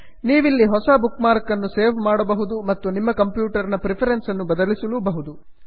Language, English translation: Kannada, You can also save new bookmark and change your preferences here